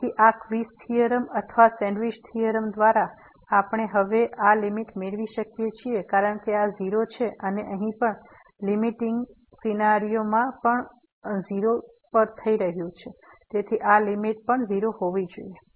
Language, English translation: Gujarati, So, by this squeeze theorem or sandwich theorem, we can get now the limit this as because this is 0 and here also in the limiting scenario this is also going to 0 so, this limit has to be 0